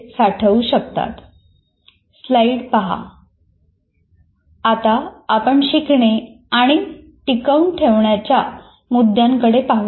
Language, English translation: Marathi, Now we look at the issues of learning and retention